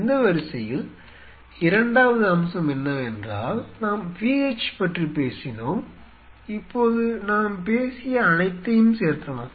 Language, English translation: Tamil, Second aspect in that line is that we have talked about the PH, now to add up what all we have talked about